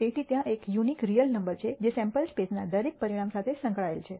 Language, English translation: Gujarati, So, there is a unique real number that is associated to every outcome in the sample space